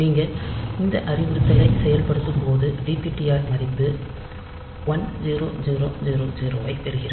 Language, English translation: Tamil, So, when you execute say this instruction then dptr gets the value 1000